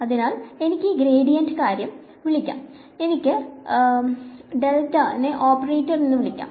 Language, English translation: Malayalam, So, I can call this gradient thing, I can call it the Del operator which is like this